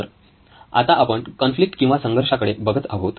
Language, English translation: Marathi, So now we are looking at a conflict